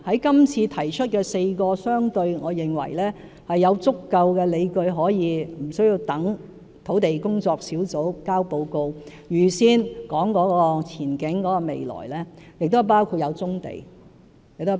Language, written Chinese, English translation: Cantonese, 今次提出4個我認為相對有足夠理據可無需等待專責小組提交報告而預先談及前景未來的選項，其實包括棕地在內。, The four options put forward in this Policy Address options that I consider sufficiently justified relatively and which outlook and prospect could be mentioned without waiting for the report to be submitted by the Task Force actually include brownfield sites